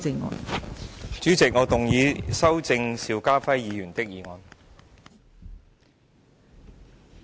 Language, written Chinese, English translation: Cantonese, 代理主席，我動議修正邵家輝議員的議案。, Deputy President I move that Mr SHIU Ka - fais motion be amended